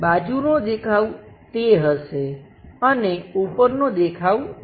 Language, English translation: Gujarati, Perhaps side view will be that, and top view will be that